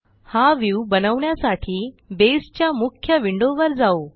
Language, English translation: Marathi, Let us go to the main Base window